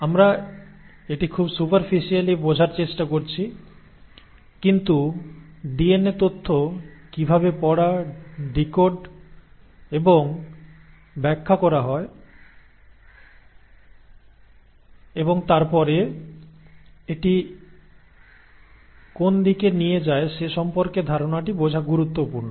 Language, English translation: Bengali, So we are trying to understand it at a very superficial level but it is important to understand the concept as to how the DNA information is read, decoded and interpreted and then what does it lead to